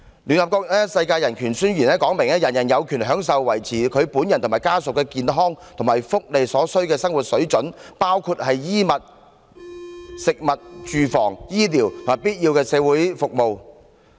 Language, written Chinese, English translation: Cantonese, 聯合國《世界人權宣言》指出，人人有權享受維持他本人和家屬的健康和福利所需的生活水準，包括衣物、食物、住房、醫療和必要的社會服務。, As stated in the Universal Declaration of Human Rights of the United Nations everyone has the right to a standard of living adequate for the health and well - being of himself and his family including food clothing housing and medical care and necessary social services